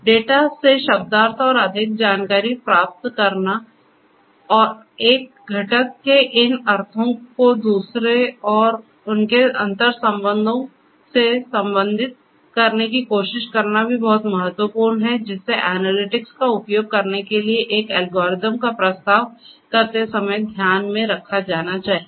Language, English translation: Hindi, Semantics and getting more insights meaning out of the data and trying to relate these meanings of one component with another and their interrelationships is also very important and should be taken into consideration while proposing an algorithm to be used for the analytics